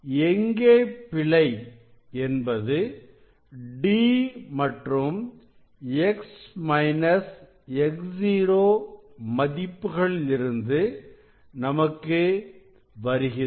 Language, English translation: Tamil, error will come from D and x minus x 0